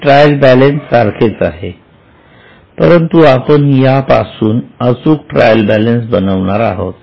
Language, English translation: Marathi, So, this is like a trial balance but we will prepare exact trial balance from this